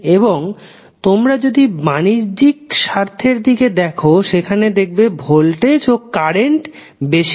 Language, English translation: Bengali, And if you cross verify the the commercial interest they are more into voltage and current